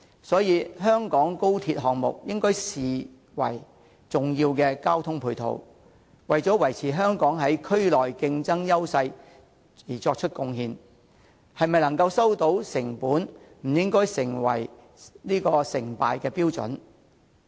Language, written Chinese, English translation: Cantonese, 所以，香港高鐵項目應視為重要的交通配套，為維持香港在區內的競爭優勢作出貢獻，能否收回成本則不應該視為成敗標準。, Thus the Hong Kong Section of XRL should be regarded as an important transport ancillary service which will contribute to maintaining Hong Kongs competitive edge in the region . The factor of cost recovery should not be taken as a criterion to judge the success of XRL